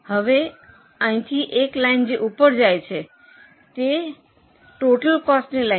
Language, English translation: Gujarati, Now, from here onwards a line which goes up is a total cost line